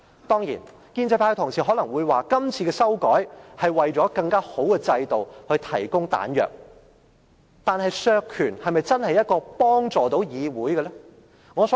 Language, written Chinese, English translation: Cantonese, 當然，建制派的同事可能會說，今次作出修改，就是為了令制度更為完善而提供彈藥，但削權是否真的對議會有所幫助呢？, Certainly Honourable colleagues from the pro - establishment camp may say that the amendments made this time around are meant to provide ammunition for perfecting the system . However is reducing Members powers helpful to the Legislative Council?